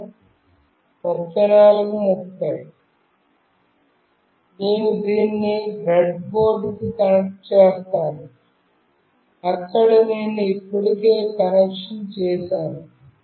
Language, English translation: Telugu, I will be connecting this to the breadboard, where I have already made the connection